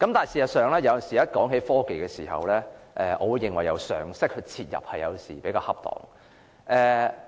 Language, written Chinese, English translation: Cantonese, 事實上，當談及科技時，我認為由常識切入比較恰當。, In fact when it comes to technology I think it is more appropriate to start by looking at it with common sense